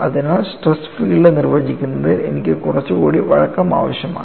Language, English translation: Malayalam, So, I need little more flexibility in defining the stress field